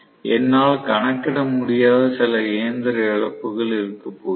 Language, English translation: Tamil, So, there is going to be some amount of mechanical losses which I cannot account for